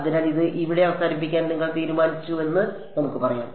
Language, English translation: Malayalam, So, let us say you decided to terminate it here